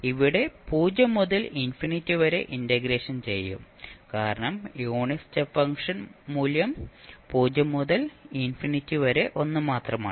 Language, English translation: Malayalam, Here also we will integrate between 0 to infinity because the unit step function is 1 only from 0 to infinity